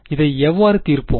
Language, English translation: Tamil, How will we solve this